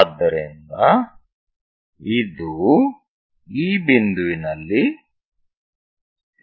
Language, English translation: Kannada, So, it will be going to intersect somewhere at this point